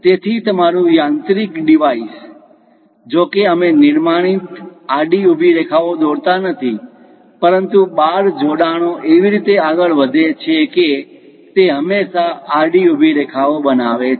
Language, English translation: Gujarati, So, your mechanical device though we are not drawing constructed horizontal vertical lines; but the bars linkages moves in such a way that it always construct these horizontal vertical lines